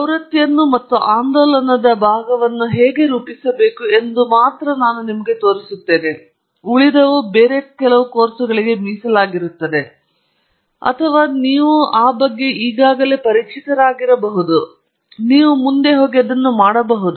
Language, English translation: Kannada, I will only show you how to model the trend and the oscillatory part, and then the rest is reserved for some other course or may be if you are already familiar with it, you can go ahead and do it